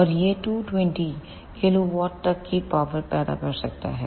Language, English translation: Hindi, And it can generate power up to 220 kilowatt